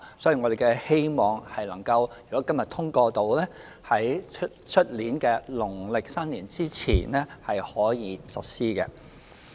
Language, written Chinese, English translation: Cantonese, 所以我們希望，如果今天《條例草案》獲得通過，可在明年農曆新年前實施。, We therefore hope that if the Bill is passed today the proposal will be implemented before the Chinese New Year in the coming year